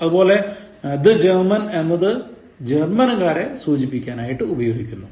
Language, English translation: Malayalam, Same thing with German, when you say the German, it refers to the German people